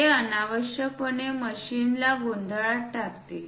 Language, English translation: Marathi, It unnecessarily confuse the machinist